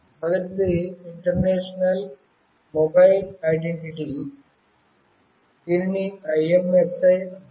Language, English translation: Telugu, The first one is International Mobile Subscriber Identity, which is called IMSI